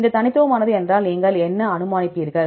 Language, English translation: Tamil, If it is unique then what will you infer